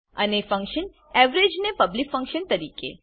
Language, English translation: Gujarati, And function average as public function